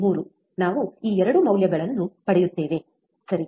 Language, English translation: Kannada, 3 we get 2 values, right